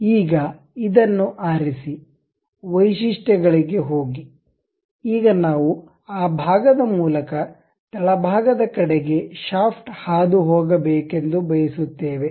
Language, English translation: Kannada, Now, pick this one, go to features; now we would like to have something like a shaft passing through that portion into bottoms side